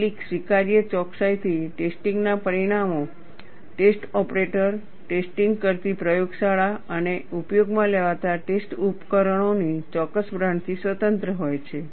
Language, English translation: Gujarati, To some acceptable degree of precision, the results of the test be independent of the test operator, the laboratory performing the test and the specific brand of test equipment used